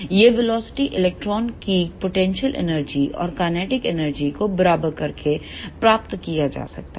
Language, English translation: Hindi, This velocity can be derived by equating the potential energy and kinetic energy of the electrons